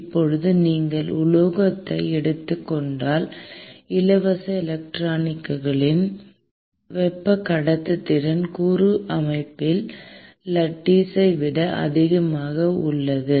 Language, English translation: Tamil, Now, if you take metals, then the thermal conductivity component due to free electrons is actually much higher that of the lattice